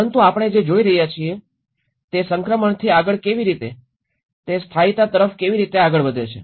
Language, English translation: Gujarati, But what we are seeing is the, how the from the transition onwards, how it moves on to the permanency